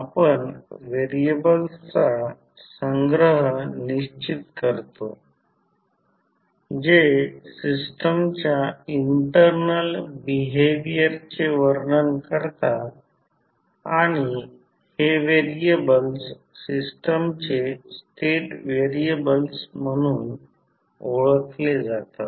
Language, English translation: Marathi, We specify a collection of variables that describe the internal behaviour of the system and these variables are known as state variables of the system